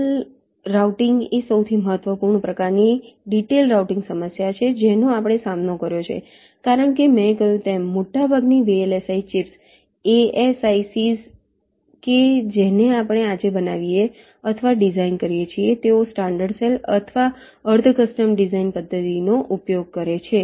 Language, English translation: Gujarati, ok, channel routing is the most important kind of detailed routing problem that we encountered because, as i said, most of the chips that we fabricate or design today they use the standard cell or the semi custom design methodology